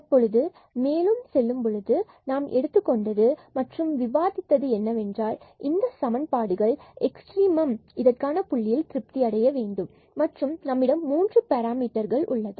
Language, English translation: Tamil, Now, moving further so, we have considered we have discussed that these are the equations which has to be satisfied at the point of a extrema and we have here 3 parameters